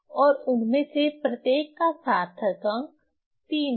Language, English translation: Hindi, So, here this all number have significant figure is 3